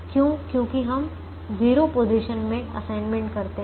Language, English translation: Hindi, because we make assignments in zero positions